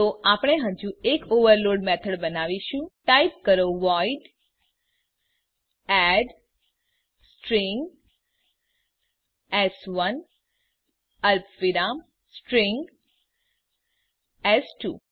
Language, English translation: Gujarati, So we will create one more overload method type void add String s1 comma String s2